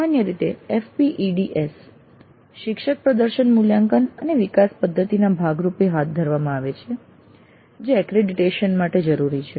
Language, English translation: Gujarati, Usually this is conducted as a part of F PATS faculty performance evaluation and development system that is required by the accreditation